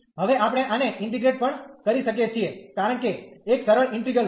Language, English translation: Gujarati, And now we can integrate this as well because the single simple integral